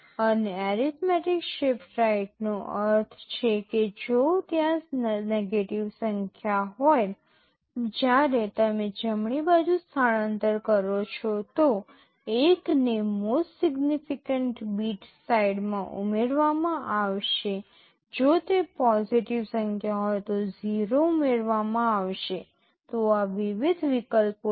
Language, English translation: Gujarati, And, arithmetic shift right means if it is a negative number when you shift right, 1 will be added to the most significant bit side if it is positive number 0 will be added, these are the various options